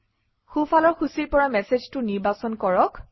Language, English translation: Assamese, From the right panel, select it